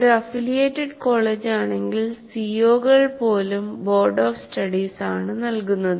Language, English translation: Malayalam, If it is an affiliated college, even the COs are written by the Boats of Studies